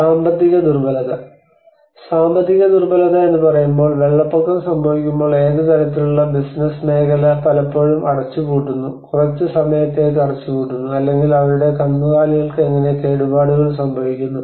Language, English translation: Malayalam, And the economic vulnerability: When we say economic vulnerability, when the flood happens obviously what kind of business sector often closes down, shuts down for a period of some time and or how their livestock gets damaged so this is all about the economical